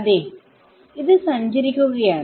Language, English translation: Malayalam, Yeah, it's going to travel